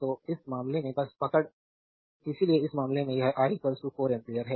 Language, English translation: Hindi, So, in this case your just hold on; so, in this case this is i is equal to 4 ampere